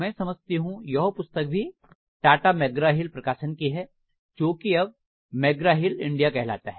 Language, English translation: Hindi, I think this is from Tata Macgraw Hills, it used to be from Tata Macgraw Hills so this is now Macgraw Hill India